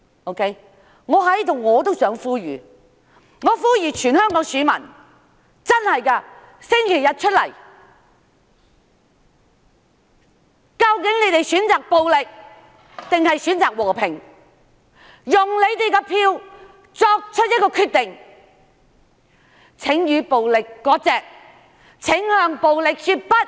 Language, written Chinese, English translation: Cantonese, 我在這裏也呼籲全香港選民在星期日投票，究竟大家選擇暴力，還是和平，請大家以選票來作出決定，請與暴力割席，請向暴力說不。, I call upon all voters in Hong Kong to vote on Sunday . Please use your votes to choose between violence and peace . Please sever ties with violence and say no to violence